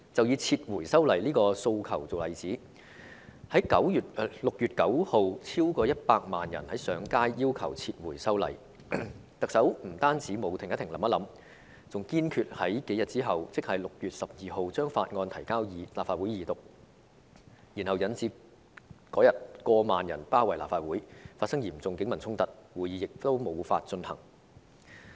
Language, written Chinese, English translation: Cantonese, 以撤回修例的訴求為例，超過100萬人在6月9日上街要求撤回修例，但特首不單沒有"停一停，想一想"，還堅決在數天後把《條例草案》提交立法會二讀，以致當日有過萬人包圍立法會，發生嚴重警民衝突，會議亦無法進行。, Take the demand for withdrawal of the Bill as an example more than 1 million people took to the streets on 9 June to demand for withdrawal of the Bill but the Chief Executive did not pause for a moment and think for a while . Not only that she insisted on presenting the Bill to the Legislative Council in a few days for Second Reading . Consequently tens of thousands of people surrounded the Legislative Council Complex on that day and serious clashes between the Police and the people broke out while the meeting could not be held